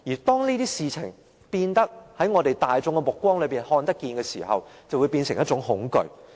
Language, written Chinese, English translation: Cantonese, 當這些事情大眾均有目共睹時，便會變成一種恐懼。, When such things are there for all to see they will induce a kind of fear